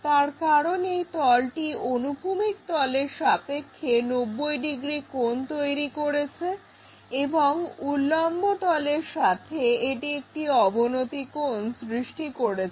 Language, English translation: Bengali, It makes 90 degrees angle with the horizontal plane, makes an angle with the vertical plane